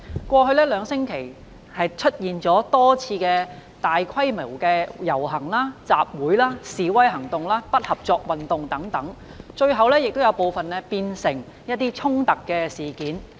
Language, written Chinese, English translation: Cantonese, 過去兩星期出現了多次大規模遊行、集會、示威行動、不合作運動等，部分最後演變成衝突事件。, There have been several large - scale processions assemblies demonstrations and non - cooperation movements in the past two weeks with some of them turning into clashes eventually